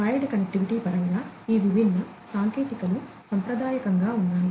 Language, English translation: Telugu, So, in terms of wired connectivity; these different technologies are there traditionally